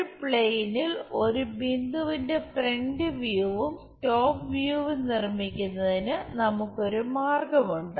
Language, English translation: Malayalam, There is a way we construct this front view and top view of a point on a plane